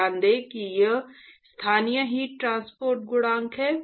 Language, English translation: Hindi, Note that this is local heat transport coefficient